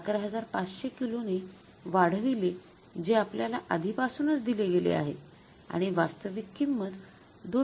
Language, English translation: Marathi, 5 minus 11500 kgs which is given to us already and the actual price is 2